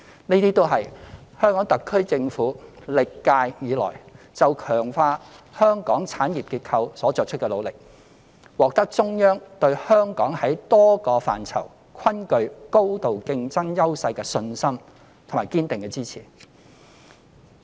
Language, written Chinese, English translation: Cantonese, 這些均是香港特區政府歷屆以來就強化香港產業結構所作出的努力，且獲得中央對香港在多個範疇均具高度競爭優勢的信心及堅定的支持。, All these are efforts devoted by the HKSAR Government of the present and past terms to enhance the industrial structure of Hong Kong and they can serve to demonstrate the confidence of the Central Government in Hong Kongs high degree of competitiveness in many aspects and the Central Governments staunch support for Hong Kong